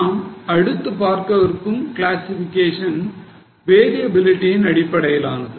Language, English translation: Tamil, Now the next type of classification is as per variability